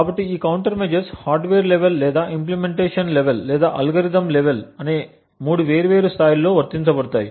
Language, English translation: Telugu, So, these counter measures have been applied at three different levels they can be applied at the hardware level, at the implementation level, or at the algorithm level